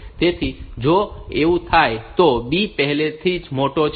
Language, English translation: Gujarati, So, if it happens that B is already larger